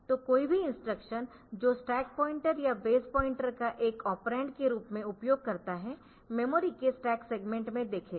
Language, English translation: Hindi, So, any instruction that uses stack pointer or base pointer as an operand will be looking into the stack segment of the memory